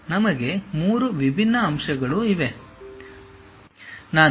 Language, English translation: Kannada, We have 3 different points